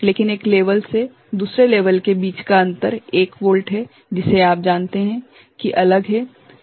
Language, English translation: Hindi, But between one level to another is level it is one volt you know that is different, that is there